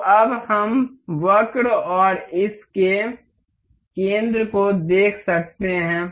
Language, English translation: Hindi, So, now we can see the curve and the center of this